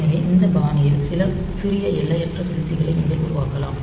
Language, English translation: Tamil, So, you can create some small infinite loops in this fashion